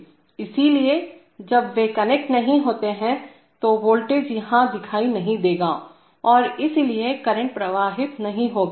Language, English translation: Hindi, So when they are not connected, the voltage will not appear here and therefore, current will not flow